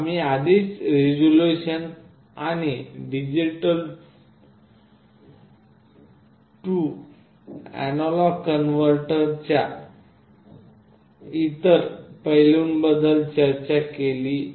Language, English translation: Marathi, We have already discussed about the resolution and other aspects of analog to digital converter